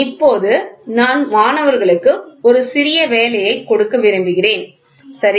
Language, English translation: Tamil, So, now I would like to give a small assignment for the students, ok